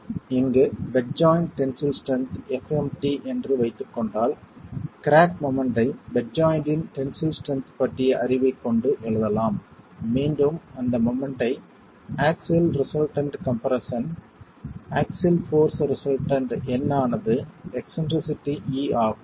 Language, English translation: Tamil, So assuming that the bed joint tensile strength here is fMt the cracking moment can be written with the knowledge of the tensile strength of the bed joint itself again representing the moment as the axial stress resultant, axial force result in n into the eccentricity e